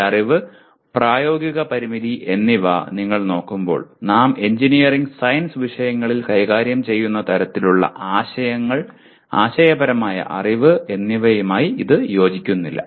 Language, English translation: Malayalam, When you look at this piece of knowledge, practical constraint, it does not nicely fit with the kind of concepts that we deal with, conceptual knowledge we deal with in engineering science subjects